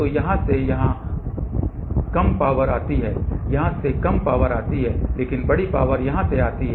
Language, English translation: Hindi, So, less power comes from here less power comes from here, but larger power comes from here